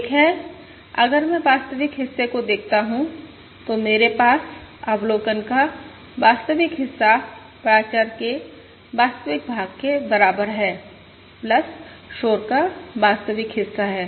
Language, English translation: Hindi, One is, if I look at the real part I have, the real part of the observation is equal to the real part of the parameter plus the real part of the noise